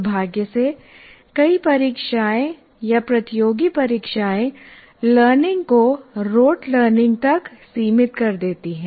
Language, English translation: Hindi, And unfortunately, many of the examinations or competitive exams reduce learning to rote learning